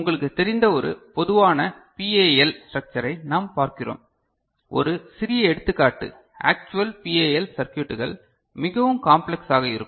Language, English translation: Tamil, So, we look at one a typical PAL structure you know, so a small example actual PAL circuits will be more complex